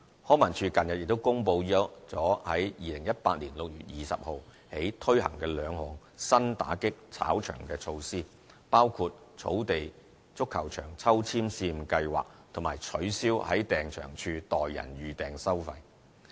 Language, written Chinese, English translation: Cantonese, 康文署近日亦公布在2018年6月20日起推行兩項新打擊"炒場"措施，包括"草地足球場抽籤"試驗計劃及取消在訂場處代人預訂收費。, Recently LCSD announced two new combative measures against touting activities which would be effective from 20 June 2018 including the Turf Soccer Pitches Balloting Pilot Scheme and discontinuing with the practice of booking facilities on behalf of another person at Leisure Link booking counters